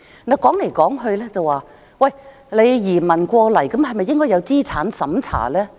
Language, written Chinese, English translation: Cantonese, 說來說去，來港的移民是否應該經過資產審查？, After all the talk should immigrants to Hong Kong be subject to assets tests?